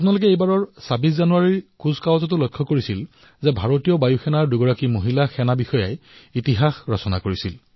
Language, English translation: Assamese, You must have also observed this time in the 26th January parade, where two women officers of the Indian Air Force created new history